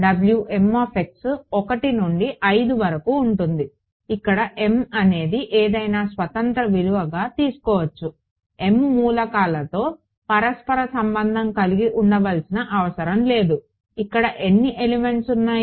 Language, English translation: Telugu, W m x will be from 1 to 5 where m is some arbitrary thing m need not have a correlation with the elements or whatever I mean because there are how many elements there are 4 elements